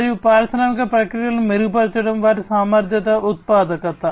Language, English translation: Telugu, And overall improving the industrial processes, their efficiency, productivity, and so on